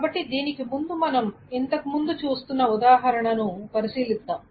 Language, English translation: Telugu, So before that, let us consider the example that we were looking at earlier